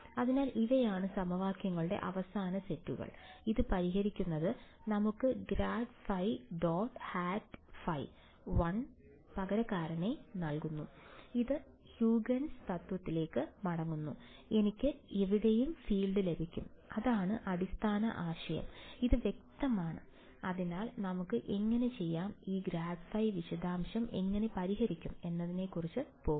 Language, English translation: Malayalam, So, these are the final sets of equations, solving this gives us grad phi dot n hat phi 1 substitute that back into Huygens principle and I can get the field anywhere, I want that is the basic idea is this clear So, to how do we go about will cover how will solve this grad detail